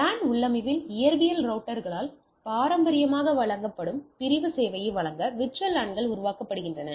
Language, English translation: Tamil, So, VLANs are created to provide segmentation service traditionally provided by physical routers in the LAN configuration